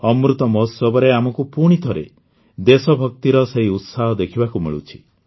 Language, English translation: Odia, We are getting to witness the same spirit of patriotism again in the Amrit Mahotsav